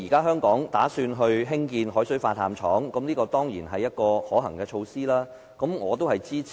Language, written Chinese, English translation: Cantonese, 香港現時計劃興建海水化淡廠，這當然是可行的措施，我對此表示支持。, At present Hong Kong is planning to build a seawater desalination plant . This is certainly a good thing so I express my support